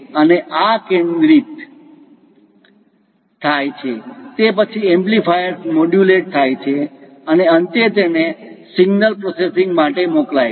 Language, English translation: Gujarati, And once this is converged is amplifiers modulated and finally send it for signal processing